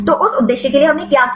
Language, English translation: Hindi, So, for that purpose what we did